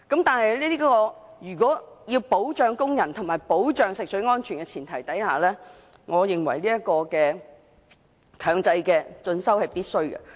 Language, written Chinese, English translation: Cantonese, 但是，在保障工人及食水安全的前提之下，我認為強制進修是必須的。, Yet for the sake of protecting the workers and ensuring the safety of drinking water I think the taking of professional development programmes has to be made mandatory